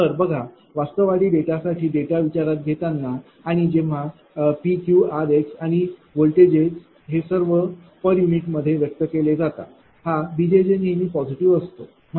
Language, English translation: Marathi, Look now, for realistic data when you take the data and when P Q r x and voltage all are expressed in per unit, that b j j is always positive, right